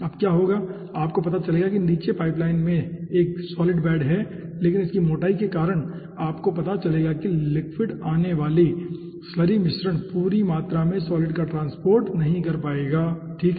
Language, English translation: Hindi, you will find out, though there is a solid bed at the bottom pipeline, but due to it is thickness, you will be finding out that the liquid incoming, slurry mixture will not be able to transport the whole amount of solids